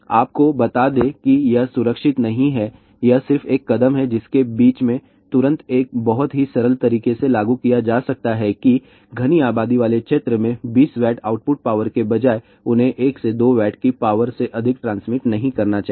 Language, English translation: Hindi, I will let me tell you this is not safe, this is just a one step in between which can be immediately implemented in a very simple way that the output power instead of 20 Watt, they should not transmit more than 1 to 2 Watt of power in the densely populated area